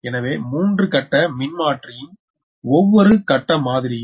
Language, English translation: Tamil, so the per phase model of a three phase transformer